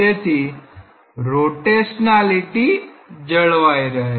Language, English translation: Gujarati, So, when the rotationality be preserved